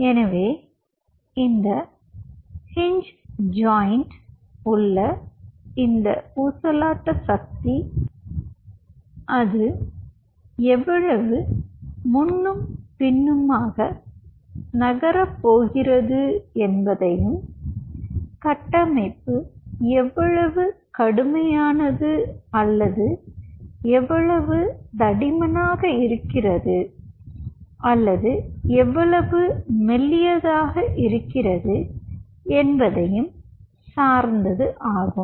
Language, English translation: Tamil, so this oscillation power at this hinge joint, how much it is going to move back and forth, is a function of how rigid the structure is or how thick the structure is or how thinner the structure is